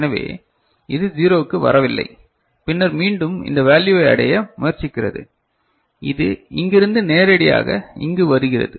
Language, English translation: Tamil, So, it is not coming to 0 and then again it is trying to reach this value, it is coming directly from here to here ok